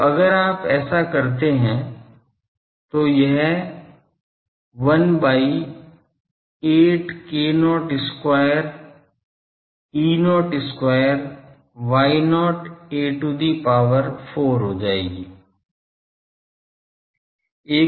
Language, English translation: Hindi, So, if you do it will become 1 by 8 k not square E not square Y not a to the power 4